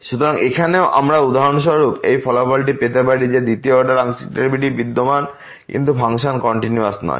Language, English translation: Bengali, So, here also we have for example, this result that the second order partial derivatives exists, but the function is not continuous